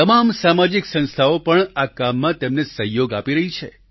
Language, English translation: Gujarati, Many social organizations too are helping them in this endeavor